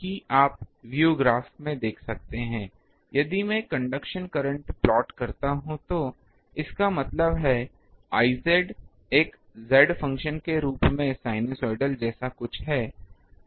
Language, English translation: Hindi, So, that you can see in the view graph, that the current distribution if I plot; that means, I z if I plot as a function of z it is something like a sinusoidal